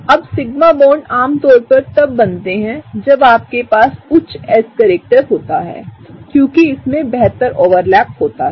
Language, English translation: Hindi, Now, sigma bonds are typically formed when you have a higher s character, because there is a better overlap happening